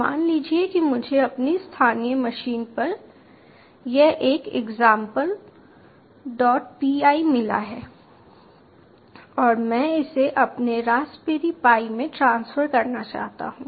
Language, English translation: Hindi, suppose i have got this one example, dot py, on my local machine and i want to transfer this to my raspberry pi